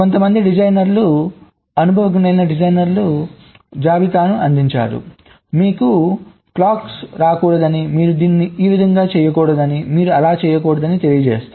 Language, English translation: Telugu, so some designers, experienced designers, they have provided a list that you should not get a clock, you should not do this, you should not do that